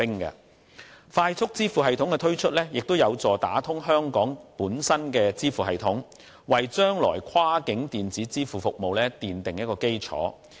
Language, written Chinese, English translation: Cantonese, 推出"快速支付系統"，有助打通香港本身的支付系統，為將來跨境電子支付服務奠下基礎。, FPS will help open up Hong Kongs payment system and lay the foundation for future cross - border electronic payment services